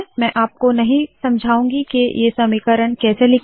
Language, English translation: Hindi, I am not going to explain how to write these equations